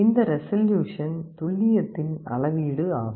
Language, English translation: Tamil, This resolution is a measure of accuracy